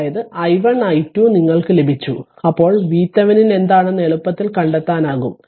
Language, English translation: Malayalam, So, i 1 i 2 you have got then easily you can find it find it out that what is my V Thevenin